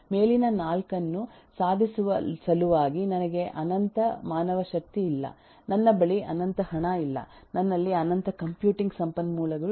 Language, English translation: Kannada, In order to achieve the above 4, I do not have infinite manpower, I do not have infinite eh money, I do not have infinite computing resources etc and so on